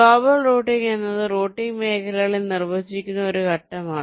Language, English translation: Malayalam, global routing is a step very define something called routing regions